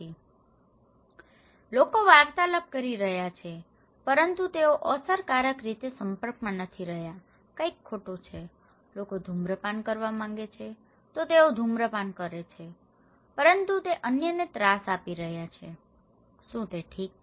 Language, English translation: Gujarati, So, people are interacting but they are not effectively interacting, there is something missing, people want to smoke, they are smoking but they are bothering others, is it okay